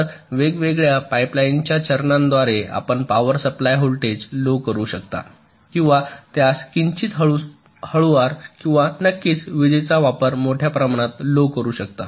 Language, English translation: Marathi, so the different pipe line stages: you can reduce the power supply voltage also ok, to make it a little slower and, of course, to reduce the power consumption